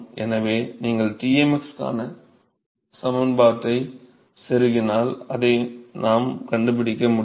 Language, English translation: Tamil, So, you just plug in the expression for Tmx here, will be able to find it